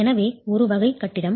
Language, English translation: Tamil, So, category A building